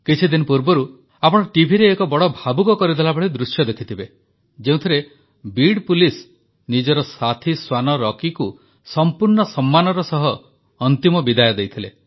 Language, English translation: Odia, You might have seen a very moving scene on TV a few days ago, in which the Beed Police were giving their canine colleague Rocky a final farewell with all due respect